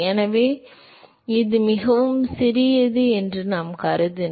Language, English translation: Tamil, So, if we assume that it is very small